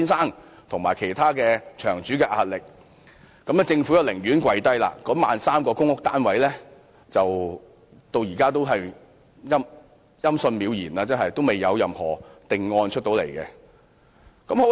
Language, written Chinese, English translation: Cantonese, 面對曾先生及其他場主的壓力，政府便"跪低"，而 13,000 個公屋單位至今仍然音訊渺然，未有任何定案。, The Government bowed to the pressure from Mr TSANG and other operators and the timetable for building the remaining 13 000 public housing units is not unknown as a final decision is still pending